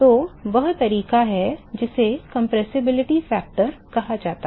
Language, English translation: Hindi, So, the way to that is what is called the compressibility factor compressibility factor